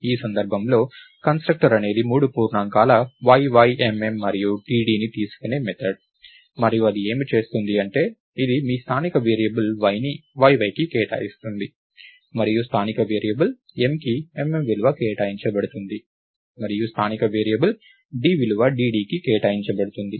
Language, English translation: Telugu, In this case, the constructor is the method which takes three integers yy, mm and dd and what it does is, it assigns your local variable y to yy and the local variable m is assigned the value mm, and the local variable d is assigned the value dd